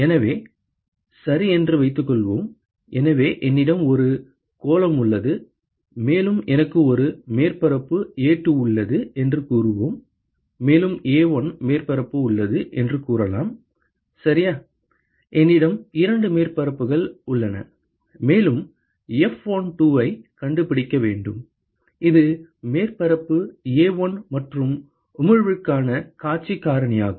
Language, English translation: Tamil, So, suppose, ok; so I have a sphere and let us say I have a surface A2 and I have let us say another surface A1 ok, I have two surfaces and I need to find F12, which is the view factor for emission which is emitted by surface A1 and what how is that with you by surface A2 ok